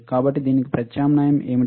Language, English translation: Telugu, So, what is the alternative to this